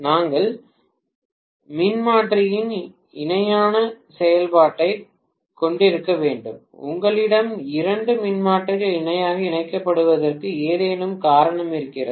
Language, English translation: Tamil, Why should we have parallel operation of transformer, is there any reason why you should have two transformers connected in parallel